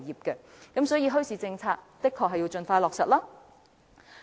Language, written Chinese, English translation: Cantonese, 因此，墟市政策的確應盡快落實。, In the light of this we should indeed expeditiously implement a bazaar policy